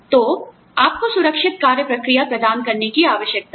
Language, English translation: Hindi, So, you need to provide, safe work procedures